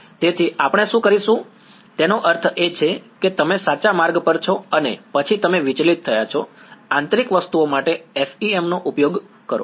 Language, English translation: Gujarati, So, what we will do is I mean, you are on the right track and then you deviated, use FEM for the interior objects